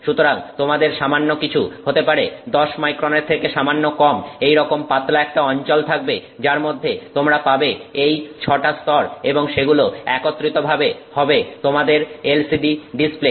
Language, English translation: Bengali, So, some few maybe let's say under 10 micron kind of region you have in which you have the 6 layers and that together is your LCD display